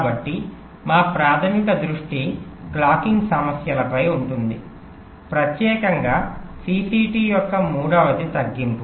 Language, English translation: Telugu, so our primary focus will be on the clocking issues, specifically the third one, reduction of cct